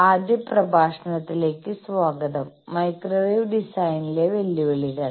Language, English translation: Malayalam, Welcome to the first lecture; Challenges of Microwave Design